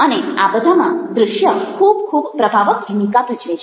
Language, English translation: Gujarati, and visuals play a very, very powerful role in that